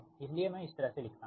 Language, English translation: Hindi, i write like this